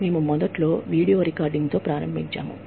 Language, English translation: Telugu, We initially started with, just video recording